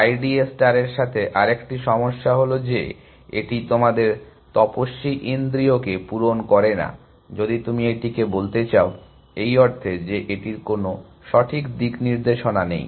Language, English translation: Bengali, Another problem with I d A star is that, it is sort of does not cater to our ascetic sense if you want to call it, in the sense that, it does not have a sense of direction